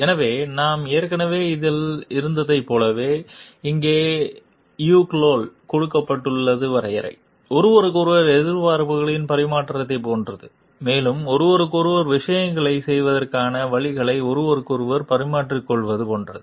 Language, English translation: Tamil, So, as we were already this is the definition given by Yukl like there is a like exchange of like expectations from each other and like also exchange of views with each other ways of doing things with each other